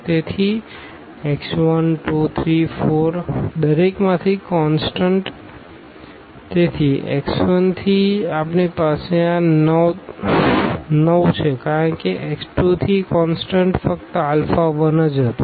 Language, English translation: Gujarati, So, x 1, x 2, x 3, x 4 the constant from each; so, from x 1 we have this 9 as constant from x 2 was alpha 1 only